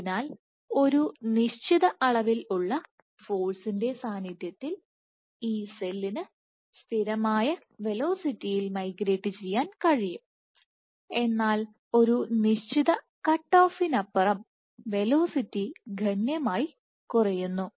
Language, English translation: Malayalam, So, over a certain magnitude of forces the constant which a cell can migrate at constant velocity, but beyond a certain cutoff the velocity drops significantly